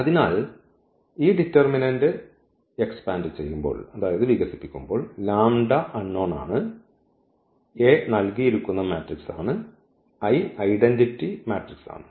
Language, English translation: Malayalam, So, when we expand this determinant because, this lambda is the unknown now A is a given matrix and I is the identity matrix